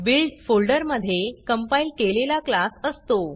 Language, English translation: Marathi, The Build folder contains the compiled class